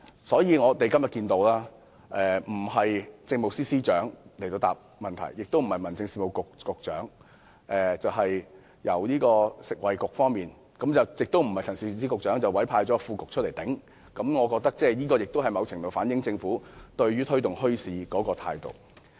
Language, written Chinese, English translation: Cantonese, 正因如此，今天到本會答辯的官員既非政務司司長，也非民政事務局局長，而是食物及衞生局的代表，更非陳肇始局長本人，而是由副局長頂替，我覺得這某程度也反映了政府推動墟市的態度。, For this reason the public officer in attendance today is neither the Chief Secretary nor the Secretary for Home Affairs but a representative from the Food and Health Bureau not Secretary Prof Sophia CHAN herself but the Under Secretary . I think this reflects to a certain extent the Governments attitude in promoting bazaars